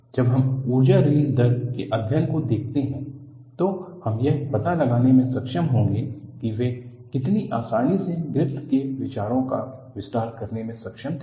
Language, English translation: Hindi, When we look at the chapter on Energy release rate, we would be able to find out how conveniently he was able to extend the ideas of Griffith